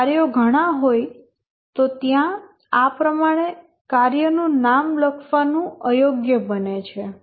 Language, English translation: Gujarati, If there are too many tasks, it becomes unwieldy to write the task name like this